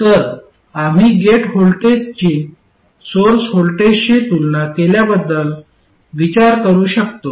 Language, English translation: Marathi, So don't just look at the gate voltage and assume that it is the gate source voltage